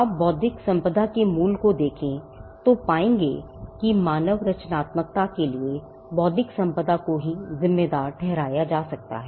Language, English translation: Hindi, If you look at the origin of intellectual property, we will find that intellectual property can be attributed to human creativity itself